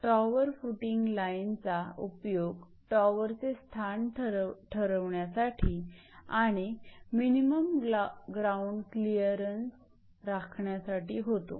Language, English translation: Marathi, So, tower footing line is used for locating the position of towers and minimum ground clearance is maintained throughout